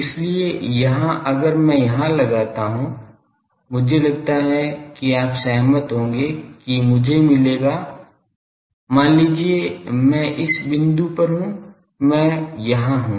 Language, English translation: Hindi, So, here if I fix I think you will agree that I will get; suppose I am at this point I am here